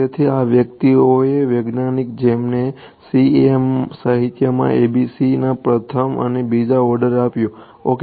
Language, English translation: Gujarati, So, these guys are the scientists who gave the first and second order ABC’s in the CEM literature ok